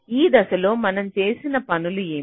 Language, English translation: Telugu, so in this step, what are the things that we have done